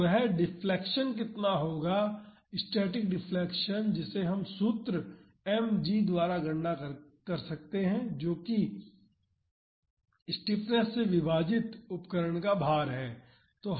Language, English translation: Hindi, So, how much that deflection would be the static deflection that we can calculate by the formula m g that is the weight of the instrument divided by the stiffness